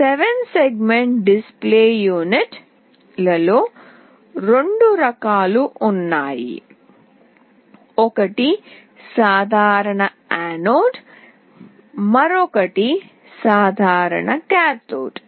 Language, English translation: Telugu, There are two types of 7 segment display units, one is common anode another is common cathode